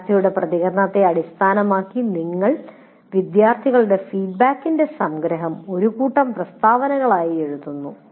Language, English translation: Malayalam, And based on the student's response, you write a summary of the student feedback as a set of statements